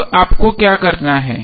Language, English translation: Hindi, Now what do you have to do